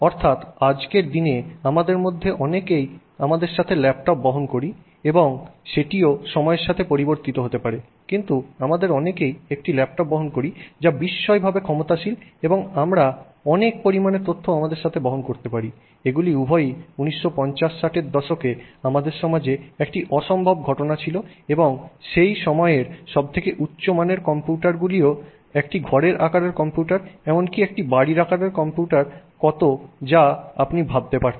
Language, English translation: Bengali, I mean today we carry most of us carry a laptop with us and even that may change with time but most of us carry a laptop which is phenomenally powerful and we carry huge amounts of data with us, both of which were completely, you know, alien to society in say 1950s and 1960s and you know that point in time, the best computers used to used to be at least a room sized computer or even a building sized computer